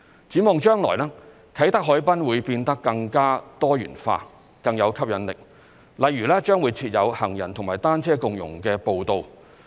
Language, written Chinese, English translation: Cantonese, 展望將來，啟德海濱會變得更加多元化，更有吸引力，例如將會設有行人和單車共融的步道。, In the future the Kai Tak harbourfront will become more diversified and more attractive . For example there will be shared - trails for pedestrians and cyclists